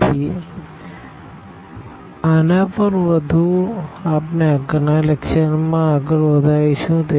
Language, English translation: Gujarati, So, more on this we will continue in our next lecture